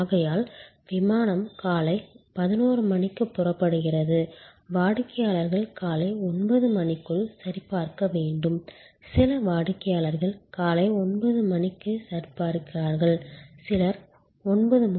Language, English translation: Tamil, So, the flight is taking off at 11 AM they want customer's to checking by 9 AM, some customer's will checking at 9 AM, some will arrive at 9